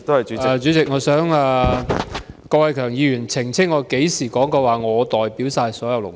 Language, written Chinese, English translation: Cantonese, 主席，我想郭偉强議員澄清，我甚麼時候說過，我可以代表所有勞工？, President I would like Mr KWOK Wai - keung to elucidate when did I say that I could represent all workers?